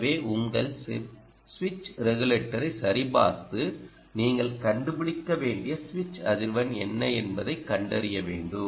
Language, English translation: Tamil, you have to check your ah switching regulator and find out what is the frequency of a switching, switching frequency